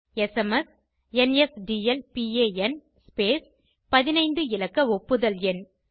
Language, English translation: Tamil, SMS NSDLPAN ltspacegt15 digit Acknowledgement No